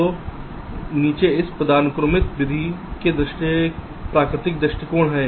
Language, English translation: Hindi, so bottom up is the natural approach in this hierarchical method